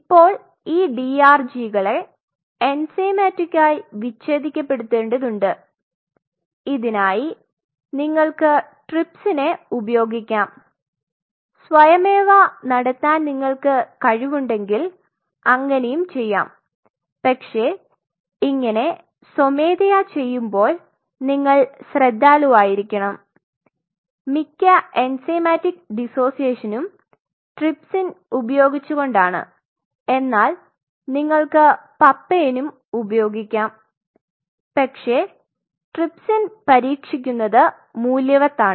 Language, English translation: Malayalam, Now these DRGs needed to be enzymatically dissociated so that so you can do an enzymatic dissociation by using trypsin or if you are really good you can do it manually also, but you know you have to really careful while doing it manually and most of the anxiety enzymatic dissociation are done with trypsin you can try out for pain, but it is worth trying out trypsin